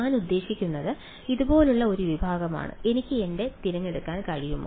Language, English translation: Malayalam, I mean a segment like this; can I pick my